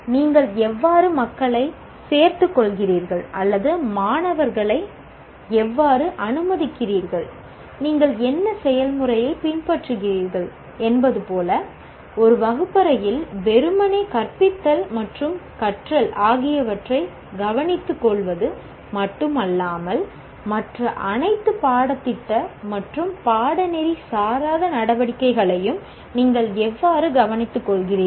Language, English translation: Tamil, Like how are you recruiting people or how are you admitting students, what process you are following, are you maintaining a campus that not only takes care of just simply teaching and learning in a classroom, but all other co curcular and extracurricular activities